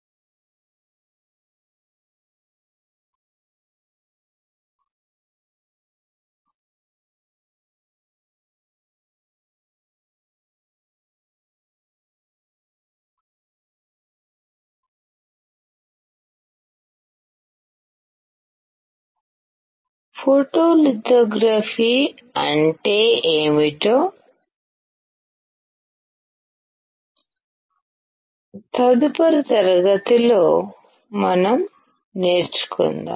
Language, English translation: Telugu, Let us learn in the next class, what photolithography is